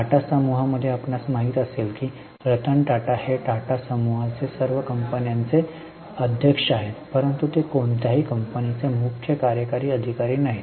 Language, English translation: Marathi, In Tata Group, you know Rattan Tata is chairman of all Tata group companies but is not CEO of any company